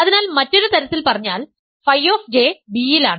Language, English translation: Malayalam, So, in other words phi of J is in B